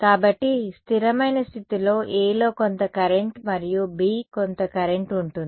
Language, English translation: Telugu, So, in the steady state there is going to be some current in A and some current in B right